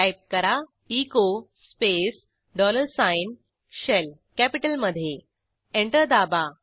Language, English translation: Marathi, Type echo space dollar sign SHELL press Enter